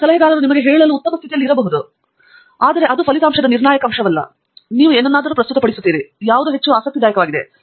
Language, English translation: Kannada, Whereas, the advisor maybe in a better position to tell you that, that is not the most critical aspect of that result that you are presenting whereas, something else maybe more interesting